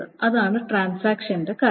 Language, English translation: Malayalam, So that is the point of transactions